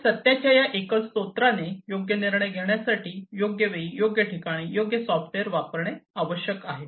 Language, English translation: Marathi, So, this single source of truth must employ the right software, at the right time, at the right place for right decision making